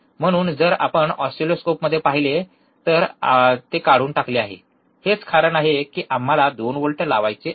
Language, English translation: Marathi, So, if you see in the oscilloscope, it is stripped, that is the reason that we want to apply 2 volts